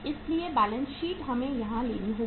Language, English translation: Hindi, So balance sheet we have to take here